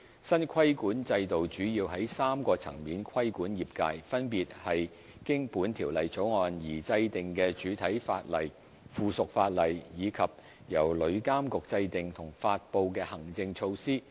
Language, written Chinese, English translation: Cantonese, 新規管制度主要在3個層面規管業界，分別是經《條例草案》而制定的主體法例、附屬法例，以及由旅監局制訂和發布的行政措施。, The new regulatory regime will regulate the trade mainly from three aspects namely the primary legislation to be enacted through the Bill subsidiary legislation and the administrative measures to be formulated and promulgated by TIA